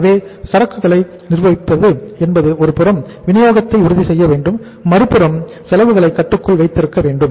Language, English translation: Tamil, So it means managing the inventory means we have to on the one side ensure the supply also and second side is we have to keep the cost under control also